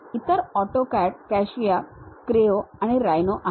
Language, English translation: Marathi, The others are AutoCAD, CATIA, Creo and Rhino